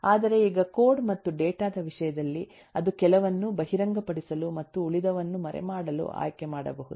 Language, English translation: Kannada, but now, in terms of the code and data, it may choose to expose some and hide the rest